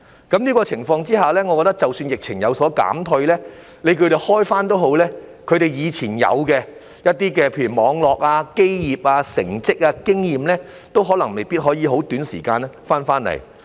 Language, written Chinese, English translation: Cantonese, 在這樣的情況下，我認為即使疫情有所減退，公司可以復業也好，以往它們擁有的生意網絡、基業、成績、經驗都未必可以在短時間內重回昔日光景。, Under such circumstances I think that even if the epidemic has subsided and companies can resume business their business network foundation performance and experience may not be restored to their former glories within a short period of time